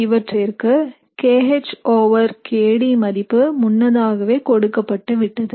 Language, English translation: Tamil, And you have also been given the kH over kD value for these reactions